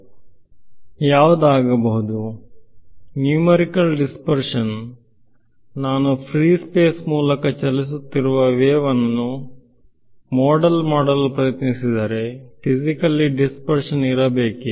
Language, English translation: Kannada, So, what would; so, numerical dispersion supposing I am trying to model wave propagation through uh lets say free space, physically should there be any dispersion